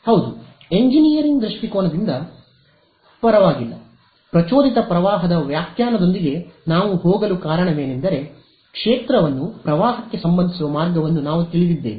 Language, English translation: Kannada, Yeah, from an engineering point of view does not matter there is induced the reason why we will go with the interpretation of induced current is because we know a way of relating field to current right